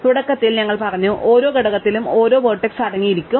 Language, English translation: Malayalam, So, initially we said each component will contain exactly one vertex